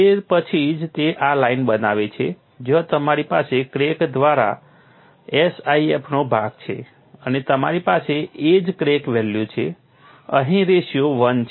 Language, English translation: Gujarati, Only then it will become this is the line where you have the SIF for the part through crack and you have the edge crack value is the ratio is 1 here